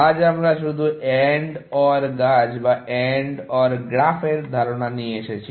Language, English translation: Bengali, Today, we have just introduced the idea of AND OR trees or AND OR graphs